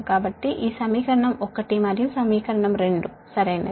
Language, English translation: Telugu, so this equation is one and this equation is two right